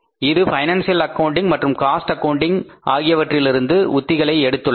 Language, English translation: Tamil, It borrows the techniques of financial accounting and the cost accounting